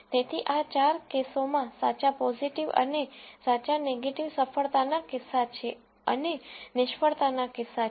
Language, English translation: Gujarati, So, in these four cases the true positive and true negative are the success cases and these are failure cases